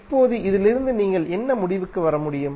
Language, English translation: Tamil, Now from this what you can conclude